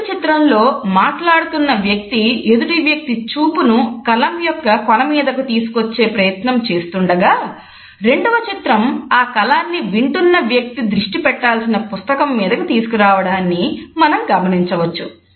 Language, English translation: Telugu, As you can see in the 1st image the speaker is trying to ensure that the gaze is shifted towards the tip of the pen and then in the 2nd image the person has gradually brought the pen to the point in the book or the notebook where the person has to concentrate